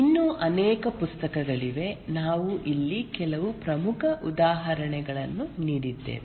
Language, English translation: Kannada, There are many other, we just given some important examples here